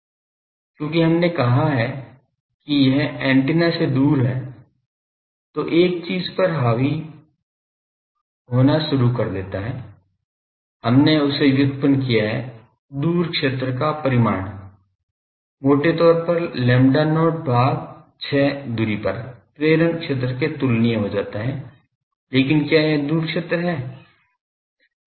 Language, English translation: Hindi, Because, we have said it is far from the antenna that starts dominating one thing, we have derived that magnitude wise the far field, becomes comparable to the induction field at a distance roughly r by , I lambda not by 6, but is that the far field